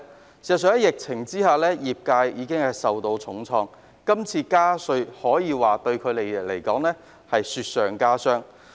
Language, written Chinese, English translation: Cantonese, 事實上，在疫情下業界已受到重創，這次加稅對他們而言可謂雪上加霜。, In fact increasing the tax and licence fees will add insult to injury to industries that have been hit hard by the epidemic